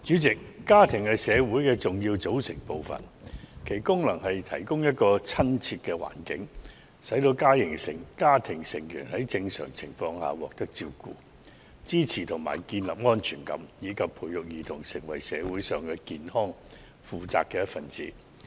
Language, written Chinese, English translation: Cantonese, 主席，家庭是社會的重要組成部分，其功能是提供親切友善的環境，使家庭成員在正常情況下獲得照顧、支持和建立安全感，以及培育兒童成為社會上健康、負責的一分子。, President families a vital component of society . They provide an intimate environment in which physical care mutual support and emotional security are normally available to foster the development of children into healthy and responsible members of society . However the numbers of sex violence and child abuse cases in Hong Kong have increased in recent years